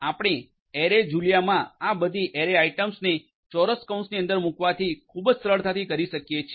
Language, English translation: Gujarati, Arrays to build arrays in Julia you can do it very easily with the help of putting all these array items within square brackets